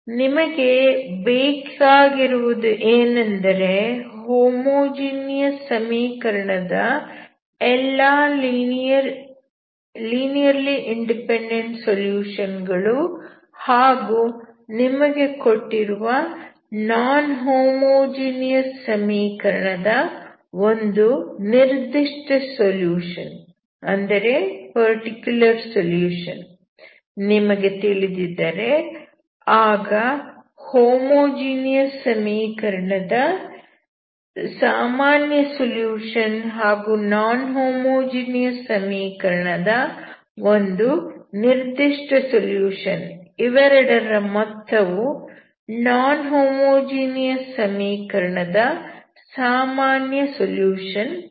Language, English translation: Kannada, What you need is, if you know all the linearly independent solutions of homogeneous equations and particular solution of the given non homogeneous equation, then the sum of these two, that is general solution of the homogeneous equation and a particular solution together will be the general solution of non homogeneous equation